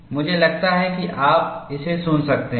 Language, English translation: Hindi, I think you can hear it now